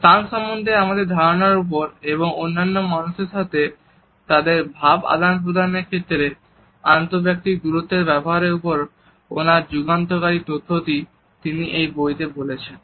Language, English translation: Bengali, He has put across in this book his seminal theory about our perception of a space and use of interpersonal distances to mediate their interactions with other people